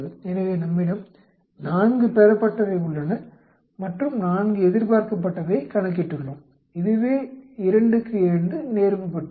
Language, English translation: Tamil, So, we have 4 observed and we calculated 4 expected this is a 2 by 2 contingency table